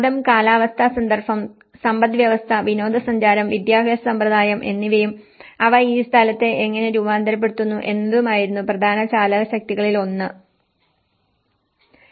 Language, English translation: Malayalam, So, some of the major drivers were the religion, climatic context, economy, tourism, education system and how they transform the place